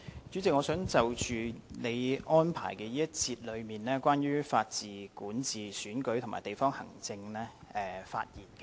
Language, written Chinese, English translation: Cantonese, 主席，我想就你安排關於法治、管治、選舉及地區行政的這一節發言。, Chairman I wish to speak in this debate session on the Rule of Law Governance Elections and District Administration as arranged by you